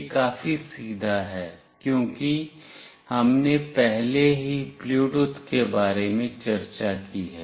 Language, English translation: Hindi, This is fairly straightforward, because we have already discussed about Bluetooth